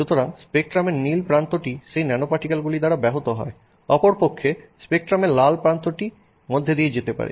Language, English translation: Bengali, So, the blue end of the spectrum seem to get disrupted by those, dispersed by those nanoparticles, whereas the red end of the spectrum seems to go through